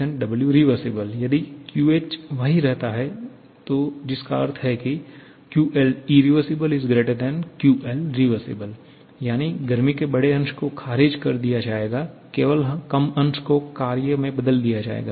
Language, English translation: Hindi, If QH remains the same that means that QL irreversible has to be greater than QL reversible that is larger fraction of heat will be rejected, only lesser fraction will be converted to work